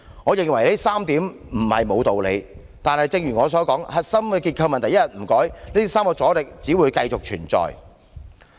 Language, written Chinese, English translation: Cantonese, 我認為這3點都不無道理，但正如我所說，核心結構問題一天不改變，這3個阻力只會繼續存在。, I think these views are reasonable but as I said so long as no improvements are made to solve the core structural problems the three obstacles will continue to exist